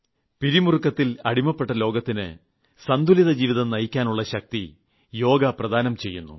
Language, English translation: Malayalam, To the world which is filled with stress, Yog gives the power to lead a balanced life